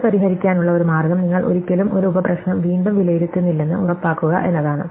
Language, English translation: Malayalam, So, one way to get around this is to make sure that you never reevaluate a sub problem